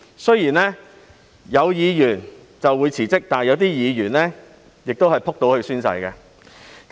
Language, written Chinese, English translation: Cantonese, 雖然有議員辭職，但亦有議員會"仆倒"去宣誓。, While some DC members have resigned some others are very eager to take the oath